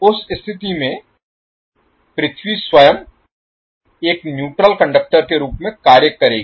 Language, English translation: Hindi, So in that case the earth itself will act as a neutral conductor